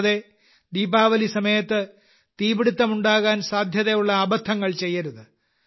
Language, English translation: Malayalam, And yes, at the time of Diwali, no such mistake should be made that any incidents of fire may occur